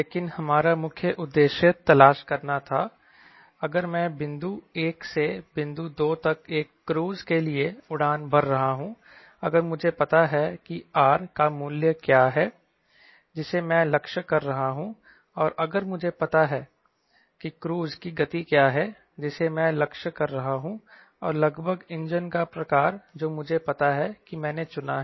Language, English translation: Hindi, but our main aim was to look for, if i am flying for a cruise from one one to point two, if i know what is the value of r i am aiming for and if i know what is the cruise speed i am aiming for and type of engine